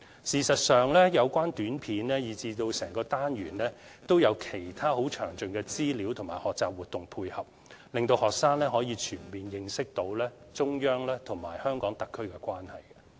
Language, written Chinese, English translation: Cantonese, 事實上，有關短片以至整個單元，也有其他詳盡資料和學習活動配合，令學生可以全面認識中央和香港特區的關係。, Actually the compact video discs mentioned and even the whole Unit also contain other detailed information and learning activities which can help students fully understand the relationship between the central authorities and HKSAR